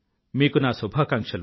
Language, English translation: Telugu, Best wishes to you